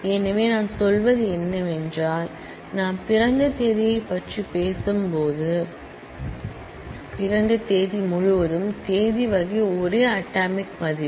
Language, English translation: Tamil, So, what I mean is say when we are talking about date of birth the whole date of birth type the date type is one atomic value